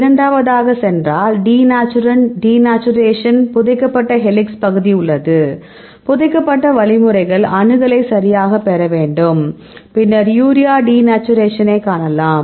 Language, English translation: Tamil, And go a second one this is with the denaturant denaturation here, we have the buried helix region, buried means, you have to get the accessibility buried right and, then you can see the urea denaturation